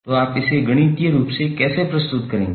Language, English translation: Hindi, So how you will represent it mathematically